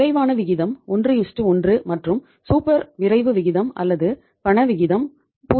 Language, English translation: Tamil, Then the quick ratio 1:1 and the super quick ratio or cash ratio that is 0